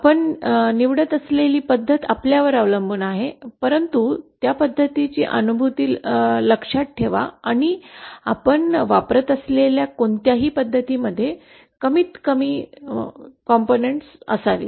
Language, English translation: Marathi, The method that you choose is up to you but keep in mind the realizeability of the method and also it should whichever method you use should contain the minimum number of segments